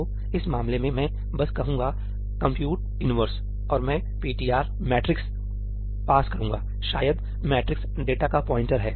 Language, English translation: Hindi, So, in this case I will just say ëcompute inverseí and I pass ëptr matrixí, maybe matrix is the pointer to the data